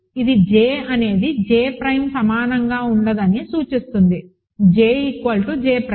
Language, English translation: Telugu, So, this implies that j cannot be equal; j has to be equal to j prime